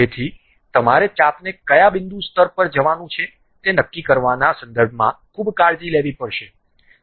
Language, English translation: Gujarati, So, you have to be careful in terms of deciding arc up to which point level you would like to really go